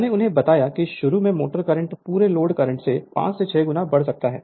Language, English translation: Hindi, I told you there for the motor current at starting can be as large as 5 to 6 times the full load current